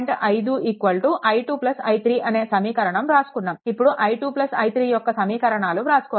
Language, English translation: Telugu, 5 is equal to i 2 plus i 3 is equal to that i 2 and i 3 equations we have to write